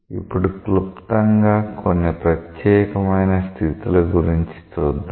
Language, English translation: Telugu, Now, briefly let us look into certain special cases of these